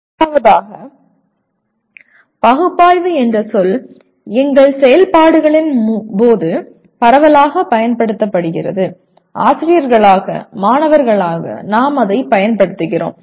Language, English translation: Tamil, First thing is the word analyze is extensively used during our activities; as teachers as students we keep using it